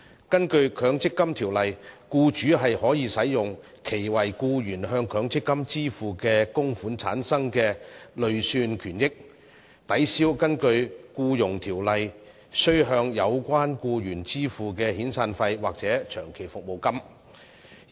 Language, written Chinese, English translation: Cantonese, 根據《強制性公積金計劃條例》，僱主可使用其為僱員向強積金支付的供款產生的累算權益，抵銷根據《僱傭條例》須向有關僱員支付的遣散費或長期服務金。, Under the Mandatory Provident Fund Schemes Ordinance an employer who is liable to pay an employee severance payment or long service payment under the Employment Ordinance EO can offset the severance or long service payment with the accrued benefits derived from the employers contributions made to an MPF scheme for the employee